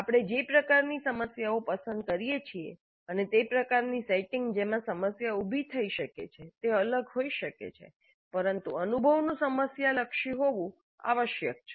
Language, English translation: Gujarati, Because the kind of problems that we choose, the kind of setting in which the problem is posed could differ but the experience must have a problem orientation